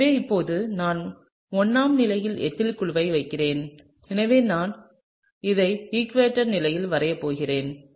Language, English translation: Tamil, So now, I will put in the groups in the 1 position, I have an ethyl so, I am just going to draw it in the equatorial position